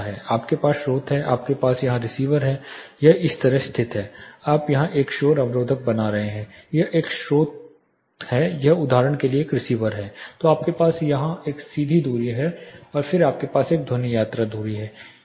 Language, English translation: Hindi, You have the source you have the receiver here this is located like this, you are making a noise barrier here, this is a source this is a receiver for instance then you have a straight distance here and then you have a sound traveling distance